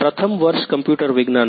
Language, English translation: Gujarati, first year computer science